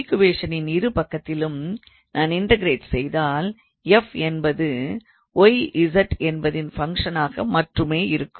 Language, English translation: Tamil, So, if I integrate on both sides of these equations, so if I integrate then f will be a function of y z only